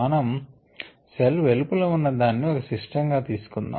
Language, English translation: Telugu, we are going to consider the surrounding of the cell as isas a system